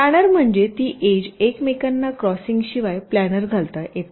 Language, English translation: Marathi, planar means it can be be laid out on a plane without the edges crossing each other